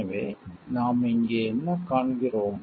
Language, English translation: Tamil, So, what we find over here